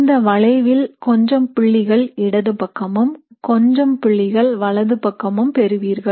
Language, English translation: Tamil, It is the average curve where you have some points on the left of the curve and some points to the right of the curve